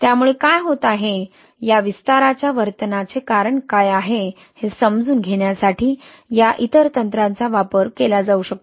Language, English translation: Marathi, So these other techniques can be used to understand what is happening, what is the cause of this expansion behaviour, right